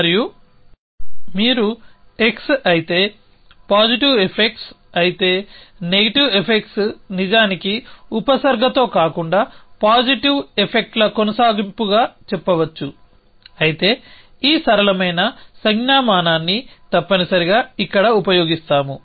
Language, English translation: Telugu, And you say if x then positive effects then negative effects are actually a continuation of positive effects with a not prefix, but will use this simpler notation here essentially